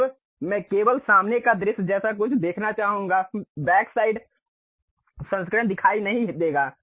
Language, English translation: Hindi, Now, I would like to see something like only front view; the back side version would not be visible